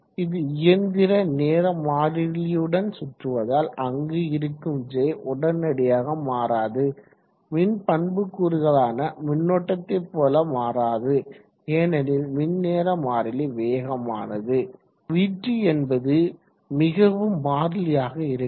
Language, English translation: Tamil, is rotating with mechanical time constant where it is initially J this is not going to vary quickly as quickly as electrical parameters like the current because electrical time constant is very fast